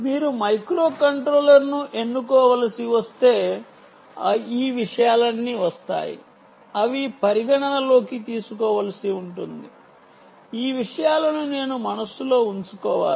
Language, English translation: Telugu, if you have to choose a microcontroller, what i have to bore this, bear these things in mind